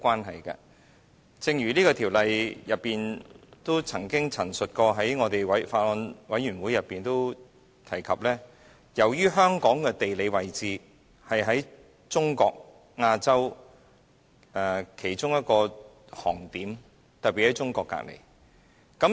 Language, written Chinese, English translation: Cantonese, 正如政府官員就《條例草案》在法案委員會會議中亦曾經陳述過，香港的地理位置是在中國、亞洲的其中一個航點，特別是鄰近中國。, As a government official remarked in a meeting of the Bills Committee on the Bill geographically Hong Kong is one of the flight destinations in China and Asia noted for its proximity to the Mainland